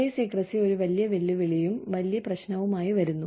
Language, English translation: Malayalam, Pay secrecy comes with, a big challenge, a big problem